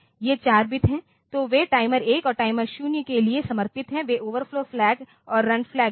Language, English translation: Hindi, These four bit, so they are dedicated for timers timer 1 and timer 0 they are overflow flag and the run flag